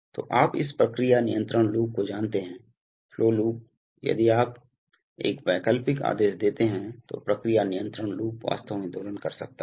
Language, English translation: Hindi, So this, you know this process control loops, flow loops the if you, if you give an alternating command then the process control loop may actually oscillate